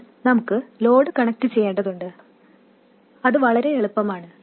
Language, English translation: Malayalam, Now we have to connect the load and that is very easy